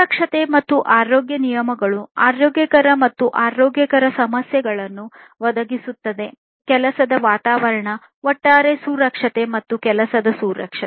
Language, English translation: Kannada, Safety and health regulations will concern the health issues providing healthy and working environment and also the overall safety, workplace safety, and so on